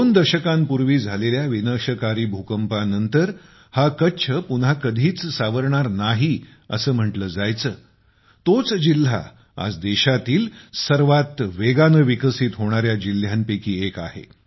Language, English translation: Marathi, Kutch, was once termed as never to be able to recover after the devastating earthquake two decades ago… Today, the same district is one of the fastest growing districts of the country